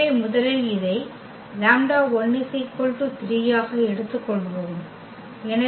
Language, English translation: Tamil, So, first let us take this lambda 1 is equal to 3